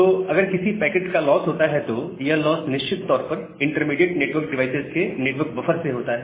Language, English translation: Hindi, So, if there is a loss of packet, that loss is certainly from the network buffers from the intermediate network devices